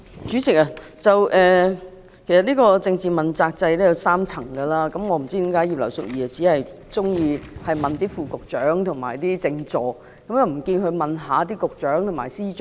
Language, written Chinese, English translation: Cantonese, 主席，政治問責制分為3層，我不知道葉劉淑儀議員為何只提及副局長及政治助理，沒有提及局長及司長？, President the political accountability system has three tiers and I do not know why Mrs Regina IP only mentions Under Secretaries and Political Assistants but not Directors of Bureau and Secretaries of Department